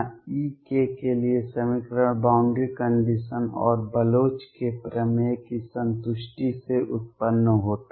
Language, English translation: Hindi, Equation for E k arises from the satisfaction of boundary conditions and Bloch’s theorem